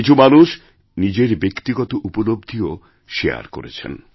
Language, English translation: Bengali, Some people even shared their personal achievements